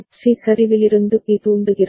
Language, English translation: Tamil, C is getting trigger from B ok